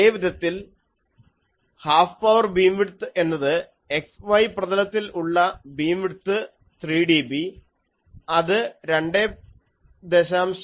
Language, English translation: Malayalam, In a similar way, the half power beam width can be shown to be that beam width 3 dB in the x y plane that will be 2